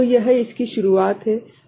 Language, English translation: Hindi, So, this is the beginning of it, right